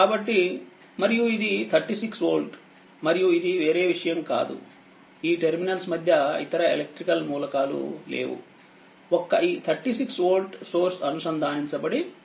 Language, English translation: Telugu, So, and this is 36 volt and this is no other thing is there this is no electrical other just just in between these terminal this 36 volt source is connected